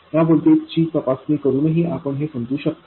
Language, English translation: Marathi, We can also understand that by examining this voltage